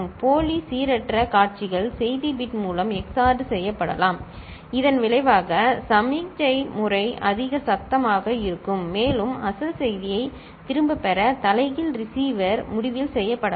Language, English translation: Tamil, The pseudo random sequences can XORed with the message bit and the resultant signal pattern would look more noise like, and the reverse can be done at the receiver end to get back the original message